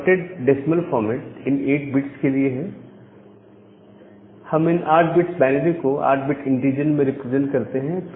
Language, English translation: Hindi, What is this dotted decimal format, the dotted decimal format is that for this 8 bits, we represent this 8 bit binary in a 8 bit integer